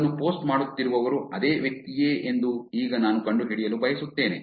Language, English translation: Kannada, Now I want to find out whether it's the same person who is posting it